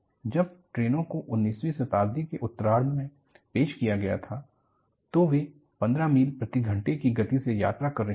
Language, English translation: Hindi, When, trains were introduced in the later part of nineteenth century, they were traveling at a speed of 15 miles per hour